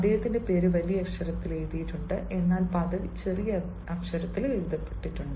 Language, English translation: Malayalam, his name is written, is in capital, but the designation will be written in small